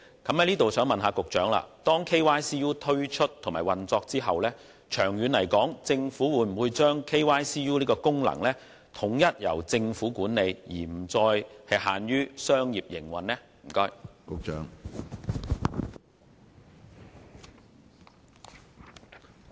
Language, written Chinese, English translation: Cantonese, 我想問局長，在 KYCU 推出運作後，政府會否把 KYCU 的功能統一由其管理，而不再由商業營運？, May I ask the Secretary if the Government will upon implementation of KYCU bring all the KYCU functions under its management instead of leaving it as commercial operations?